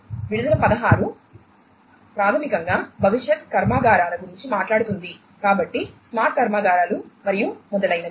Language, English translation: Telugu, Release 16 basically talks about the factories of the future so smart factories and so on